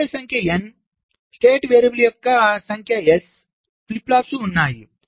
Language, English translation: Telugu, there are n number of inputs, there are s number of state variables, flip flops